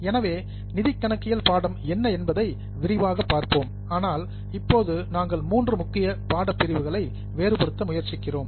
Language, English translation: Tamil, So, we will be going into what is financial accounting more in details but right now we are just trying to differentiate the three main streams